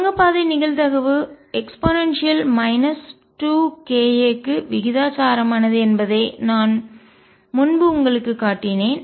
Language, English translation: Tamil, Now as I showed you earlier that the tunneling probability is proportional to minus 2 k a